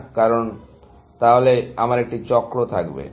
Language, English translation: Bengali, Why, because then, I would have a cycle